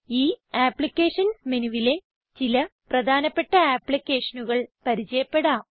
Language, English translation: Malayalam, In this Applications menu, let us get familiar with some important applications